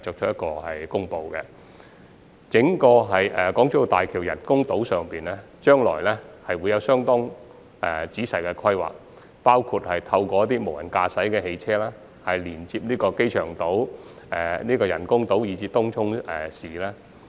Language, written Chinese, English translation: Cantonese, 對於整個港珠澳大橋人工島，將來會有相當仔細的規劃，包括透過自動駕駛汽車連接機場島、人工島及東涌市。, The entire BCF Island of HZMB will be planned in great detail in the future including connecting the Airport Island the BCF Island and Tung Chung Town with an autonomous transportation system